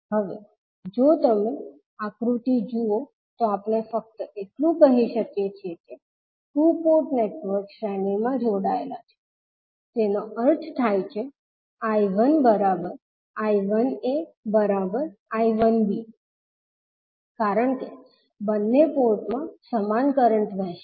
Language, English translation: Gujarati, Now, if you see this figure, we can simply say that since the two port networks are connected in series that means I 1 is nothing but equals to I 1a and also equal to I 1b because the same current will flow in both of the ports